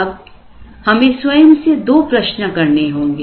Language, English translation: Hindi, Now, let us ask ourselves two things